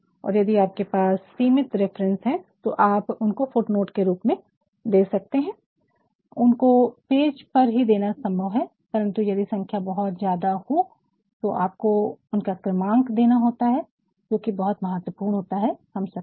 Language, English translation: Hindi, And, in case you have only limited number of references you can provide that in the form of footnotes, which is possible only to be given on the page fine, but then if the numbers are too many then you have to number this is very important for all of us